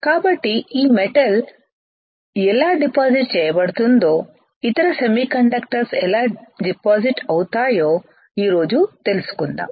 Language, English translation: Telugu, So, how this metal is deposited today we will learn how other semiconductors are deposited